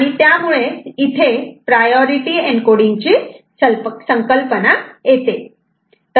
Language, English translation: Marathi, And then there comes the concept of priority encoding ok